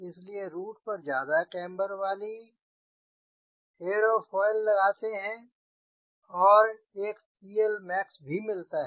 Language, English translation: Hindi, so at the root i have put highly cambered aerofoil and getting a scale max also